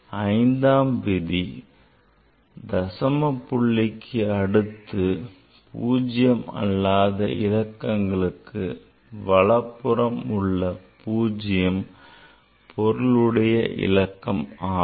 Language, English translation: Tamil, So, 5th rule is all 0 to the right of the non zero digit in the decimal part are significant